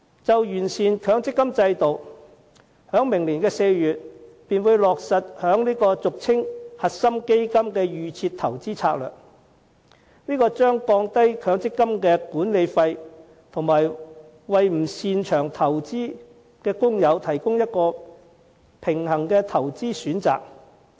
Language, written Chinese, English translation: Cantonese, 就完善強積金制度，當局在明年4月便會落實俗稱"核心基金"的"預設投資策略"，這將降低強積金的管理費，以及為不擅長投資的工友提供一個平衡的投資選擇。, On refining the MPF System the Default Investment Strategy commonly known as core fund will be implemented in April next year . While lowering the management fees of MPF it will also offer a balanced investment option to those wage earners who are not good at investment